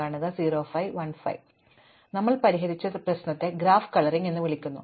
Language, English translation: Malayalam, So, the problem that we have solved is called graph coloring